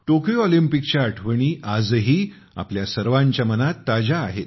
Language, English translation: Marathi, The memories of the Tokyo Olympics are still fresh in our minds